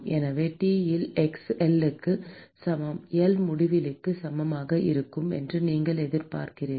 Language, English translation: Tamil, So, you expect that T at x equal to L, L tending to infinity will be equal to T infinity